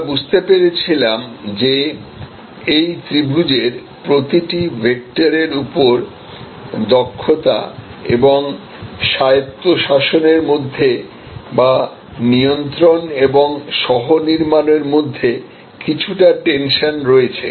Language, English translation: Bengali, We understood that on each vector of this triangle, we have some tension between efficiency and autonomy or between control and co creation and so on